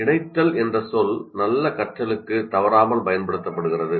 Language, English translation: Tamil, So the word linking is constantly used that is involved in good learning